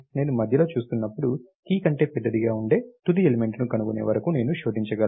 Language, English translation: Telugu, When I looking at the middle, I can I can just search until I find the final element which is larger than the key